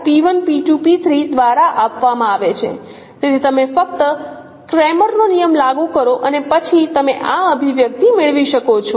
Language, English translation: Gujarati, So you apply simply cameras rule and then you can get this expression